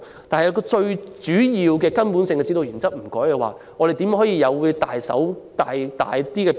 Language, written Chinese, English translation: Cantonese, 但是，如果最主要的基本指導原則不變，如何能作出更大的變動？, However if we make no change to the major and basic guiding principle how can we bring about bigger changes?